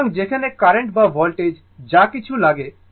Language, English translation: Bengali, So, whereas current or voltage whatever it is take